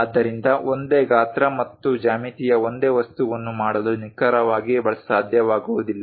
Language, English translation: Kannada, So, its not precisely possible to make the same object of same size and geometry